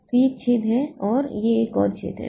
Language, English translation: Hindi, So, this is one hole and this is another hole